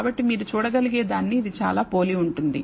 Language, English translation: Telugu, So, it is very similar to that you can see